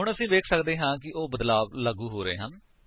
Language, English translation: Punjabi, Now we can see that changes are applying